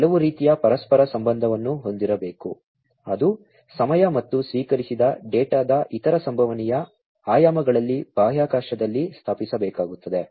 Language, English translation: Kannada, There has to be some kind of correlation, which will have to be established in space in time and other possible dimensions of the data that is received